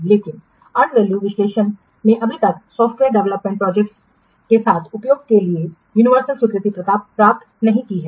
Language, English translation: Hindi, And value analysis has not yet yet get universal acceptance for use with software development projects